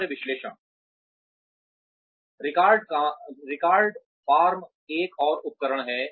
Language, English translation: Hindi, Task analysis, record form is another tool